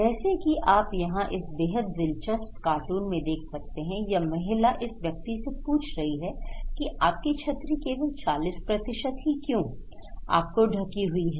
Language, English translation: Hindi, Like here, you look into this very interesting cartoon is saying this lady is asking this person that why you have only 40% of your umbrella is covered